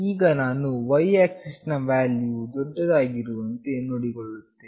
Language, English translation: Kannada, Now, I will make sure that the y axis value will be maximum